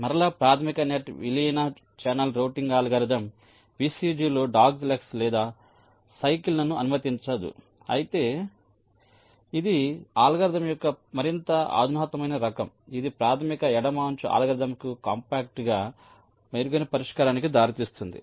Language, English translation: Telugu, and again, the basic net merge channel routing algorithm does not allow doglegs or cycles in the vcg, but this is the more sophisticate kind of a algorithm that leads to better solution, as compact to the basic left ed[ge] algorithm